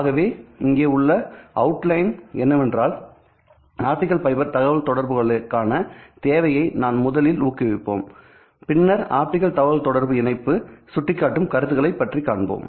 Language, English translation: Tamil, So the outline here for the overview is that we will first motivate the requirement for optical fiber communications and then we talk about the point to point optical communication link